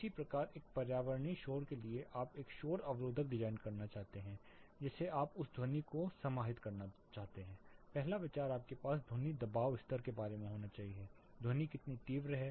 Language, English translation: Hindi, Similarly for a environmental noise you want to design a noise barrier you want to arrest the sound you want to do sound proofing the first idea you should have is about the sound pressure level, how much intense the sound is